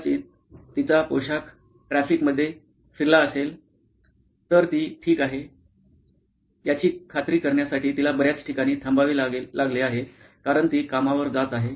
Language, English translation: Marathi, Maybe her costume has moved around in the traffic, she has to stop at several places to make sure she is okay because she is riding to work